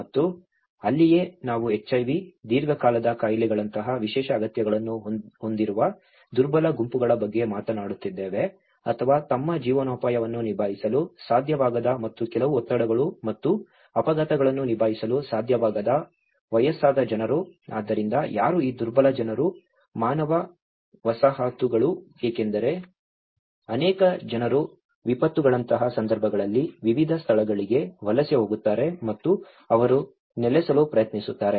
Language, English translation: Kannada, And that is where we are talking about the vulnerable groups, who have special needs such as HIV, chronic diseases or even the elderly people who are unable to cope up with their livelihoods and unable to cope up with certain stresses and shocks, so who are these vulnerable people, human settlements because many at the cases like in the disasters people migrate to different places and they try to settle down